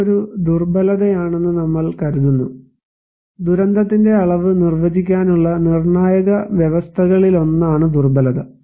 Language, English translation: Malayalam, We consider this is a vulnerability, that vulnerability is one of the critical conditions to define that the degree of disasters